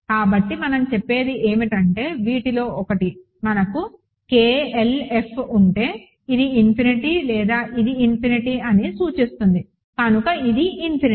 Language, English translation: Telugu, So, what we are saying is that if one of these, so we have K, L, F, this is infinity or this is infinity implies this is infinity, ok